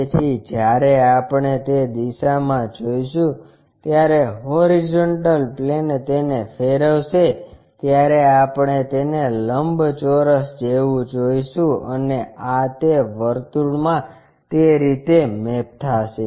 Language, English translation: Gujarati, So, when we are looking in that direction horizontal plane rotate it we will see it like it rectangle and this one maps to a circle in that way